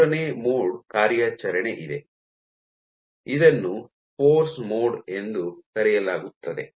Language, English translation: Kannada, There is a third mode of operation which is called the force mode